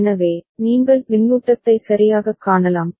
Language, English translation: Tamil, So, you can see the feedback right